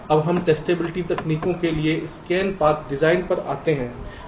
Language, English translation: Hindi, ok, now we come to the scan path design for testability technique